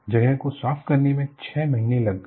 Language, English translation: Hindi, It took six months to clean up the place